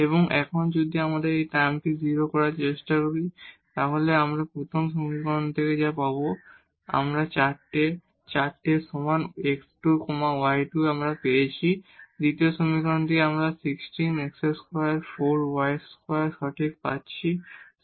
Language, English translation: Bengali, And now if we try to make this and this term 0, so what we will get from the first equation, we are getting 4 is equal to 4 x square plus y square, well from the second equation we are getting 16 x square and plus 4 y square correct, 16 x square plus 4 y square